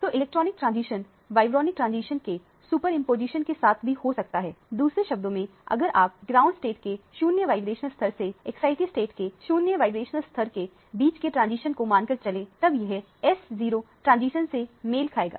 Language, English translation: Hindi, So, the electronic transition can be accompanied by superimposition of the vibronic transition as well, in other words if you consider the transition between the 0 vibrational level of the ground state to the 0 vibrational level of the excited state, this would correspond to the S0 transition